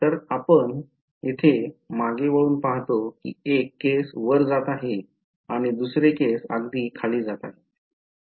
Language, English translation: Marathi, So, we look back over here one case its going up and the other case is going down right